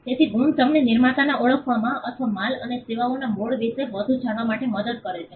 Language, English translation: Gujarati, So, marks helps us to identify the producer, or to know more about the origin of goods and services